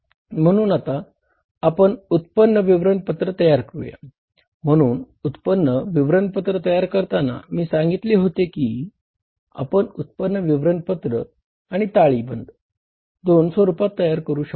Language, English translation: Marathi, So, while preparing the income statement, as I told you that these statements, income statement and balance sheet can be prepared in two formats